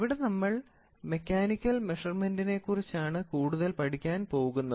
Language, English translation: Malayalam, So, that is why we are talking about mechanical engineering and mechanical measurements